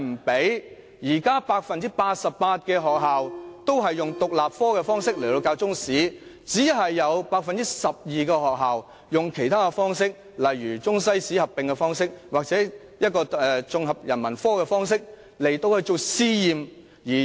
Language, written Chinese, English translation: Cantonese, 現時 88% 的學校均以獨立科的方式教授中史，只有 12% 的學校採用其他方式，例如以中西史合併或綜合人文科的方式作為試驗。, At present 88 % of schools are teaching Chinese history as an independent subject and only 12 % of schools are teaching Chinese history in other ways such as teaching Chinese and world history as a combined subject or teaching Chinese history as part of the Integrated Humanities subject on a pilot basis